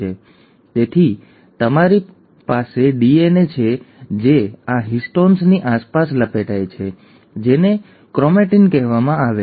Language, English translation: Gujarati, So you have the DNA which wraps around this histones to form what is called as chromatin